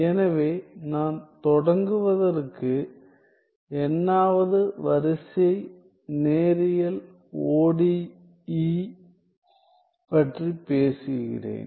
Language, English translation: Tamil, So, I am talking about n th order linear ODE to begin with